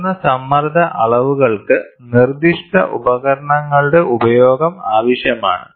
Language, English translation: Malayalam, High pressure measurements necessitate the use of specific devices